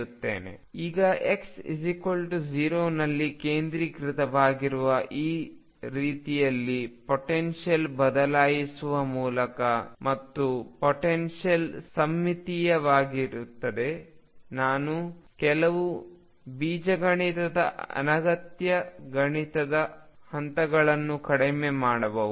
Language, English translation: Kannada, Now by shifting the potential in such a manner that centralized at x equal 0 and the potential becomes symmetry I can reduce some algebra unnecessary mathematical steps